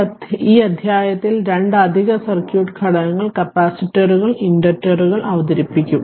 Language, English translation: Malayalam, So, in this chapter we shall introduce that two additional circuit elements that is your capacitors and inductors right